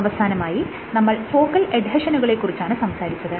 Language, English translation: Malayalam, And lastly, we spoke about focal adhesions